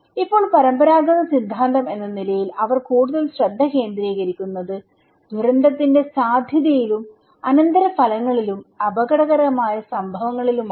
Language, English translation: Malayalam, Now, as the conventional theory, they are focusing more on the probability and consequence and hazard kind of event as disaster